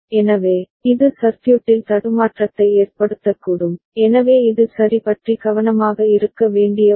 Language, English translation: Tamil, So, this can cause glitch in the circuit ok, so this is something which one need to be careful about ok